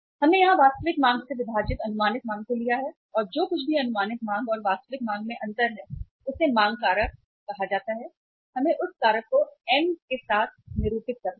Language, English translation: Hindi, We have taken here estimated demand divided by actual demand and whatever the difference in the estimated demand and actual demand is there that is called as the demand factor and let us denote that factor with the M